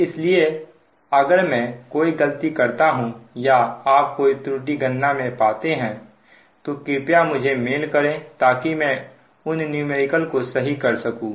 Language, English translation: Hindi, so if i make any mistake or any error is there in calculation, please mail me such that i can correct those numericals